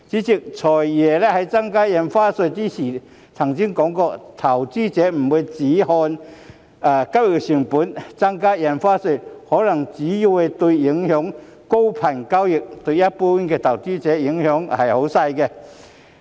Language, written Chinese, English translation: Cantonese, 主席，"財爺"在宣布增加印花稅時提到，投資者不會只看交易成本，增加印花稅可能只會影響高頻交易，但對一般投資者的影響較輕微。, President when FS announced the proposed increase in Stamp Duty he mentioned that investors were not only concerned about the transaction costs and the increase in stamp duty would only affect high - frequency trading but have minor impact on general investors